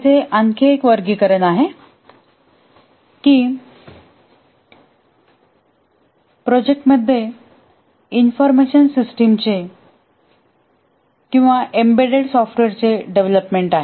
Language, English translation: Marathi, There is another classification that whether the project involves development of an information system or an embedded software